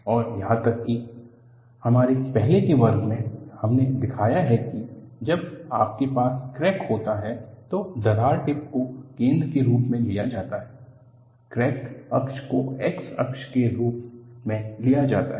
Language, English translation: Hindi, And even, in one of our earlier class, we have shown that when you have a crack, I showed that crack tip is taken as the origin, crack axis is taken as the x axis